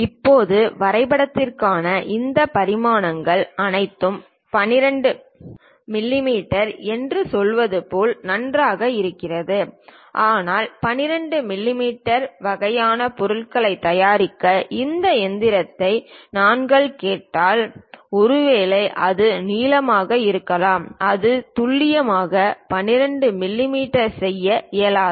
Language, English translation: Tamil, Now, all these dimensions for drawing is perfectly fine like saying 12 mm, but if you are asking a machinist to prepare 12 mm kind of object, perhaps it can be length it can be hole its not possible to precisely make 12 mm